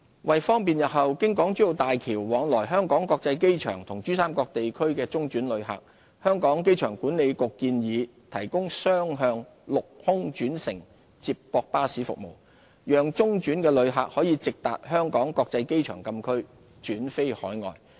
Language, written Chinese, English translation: Cantonese, 為方便日後經港珠澳大橋往來香港國際機場與珠三角地區的中轉旅客，香港機場管理局建議提供雙向陸空轉乘接駁巴士服務，讓中轉旅客可直達香港國際機場禁區轉飛海外。, To facilitate transit passengers travelling between the Hong Kong International Airport HKIA and the PRD Region via HZMB in the future the Airport Authority Hong Kong AA has suggested providing two - way land - to - air shuttle bus service to take these passengers direct to the Restricted Area of HKIA for outbound flights